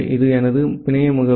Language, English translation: Tamil, This is my network address